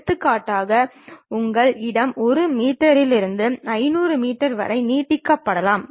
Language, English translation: Tamil, For example, your space might be from 1 meter to extend it to something like 500 meters